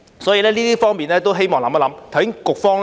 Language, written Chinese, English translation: Cantonese, 所以，就這方面，希望政府能思考。, Therefore I hope the Government can give this respect some consideration